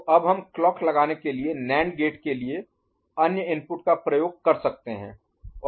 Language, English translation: Hindi, So, we can now use the other input of the NAND gate to put the clock, ok